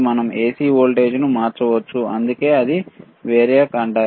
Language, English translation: Telugu, We can vary the AC voltage that is why it is called variac